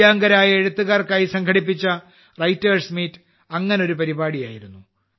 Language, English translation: Malayalam, One such program was 'Writers' Meet' organized for Divyang writers